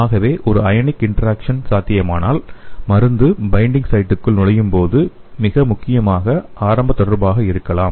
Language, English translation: Tamil, So if an ionic interaction is possible it is likely to be the most important initial interaction as a drug enters the binding site